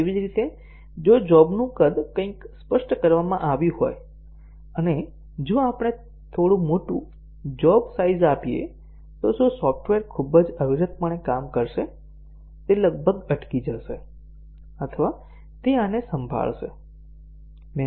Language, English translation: Gujarati, Similarly, if the job size is specified something, and if we give slightly larger job size, will the software perform very discontinuously, it will almost hang or will it gracefully handle this